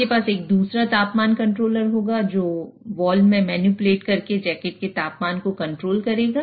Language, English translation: Hindi, So you you will have another temperature controller which will control the jacket temperature by manipulating the valve